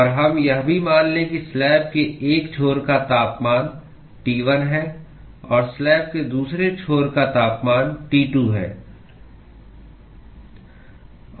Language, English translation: Hindi, And let us also assume that the temperature of one end of the slab is T1 and the temperature of the other end of the slab is T2